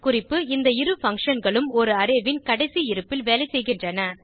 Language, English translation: Tamil, Note: Both these functions work at last position of an Array